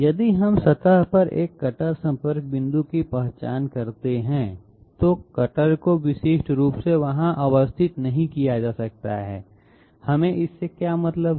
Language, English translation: Hindi, If we identify a cutter contact point on the surface, the cutter cannot be you know uniquely positioned there, what do we mean by that